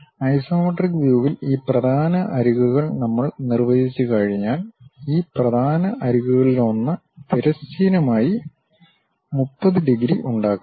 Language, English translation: Malayalam, In the isometric view, once we define these principal edges; one of these principal edges makes 30 degrees with the horizontal